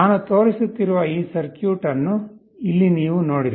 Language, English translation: Kannada, Here you look at this circuit that I am showing